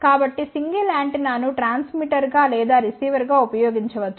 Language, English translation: Telugu, So, a single antenna can be used as a transmitter or as a receiver